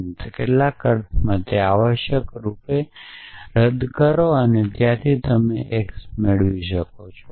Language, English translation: Gujarati, And in some sense cancel it out essentially and from there you can derive mortal x essentially